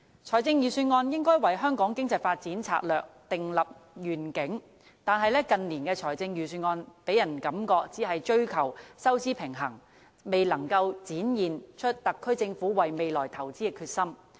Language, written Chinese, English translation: Cantonese, 財政預算案應該為香港經濟發展策略訂立願景，但近年的財政預算案予人感覺只是追求收支平衡，未能展現特區政府為未來投資的決心。, The budget should have formulated a vision for the economic development strategy of Hong Kong . But I am disappointed with the budgets we have had in recent years as they have only left us with the impression that they are striving to achieve a fiscal balance and have stopped short of showing the SAR Governments determination in investing into the future